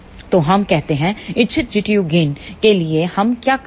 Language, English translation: Hindi, So, let us say for the desired G tu gain what we do